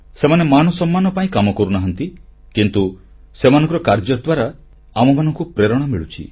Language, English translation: Odia, They do not labour for any honor, but their work inspires us